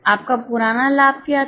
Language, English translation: Hindi, What was your old profit